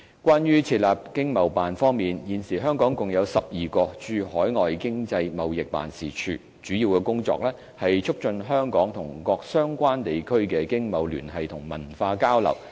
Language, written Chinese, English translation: Cantonese, 關於設立駐海外經濟貿易辦事處方面，現時香港共有12個經貿辦，主要工作是促進香港與各相關地區的經貿聯繫和文化交流。, Regarding the establishment of Economic and Trade Offices currently Hong Kong has 12 overseas Economic and Trade Offices ETOs of which the main responsibilities are to enhance economic ties and cultural exchanges between Hong Kong and respective regions